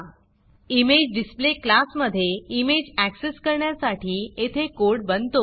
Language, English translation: Marathi, It generates the code in the imagedisplay class to access the image